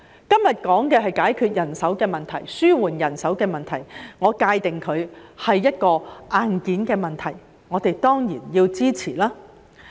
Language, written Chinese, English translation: Cantonese, 今天談論的是解決人手的問題，紓緩人手的問題，我會界定為硬件問題，我們當然要支持。, Today we discuss how to solve or alleviate the manpower problem . I would categorize this as hardware issues and we certainly support the amendments